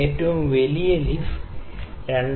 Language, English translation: Malayalam, And the largest leaf is 2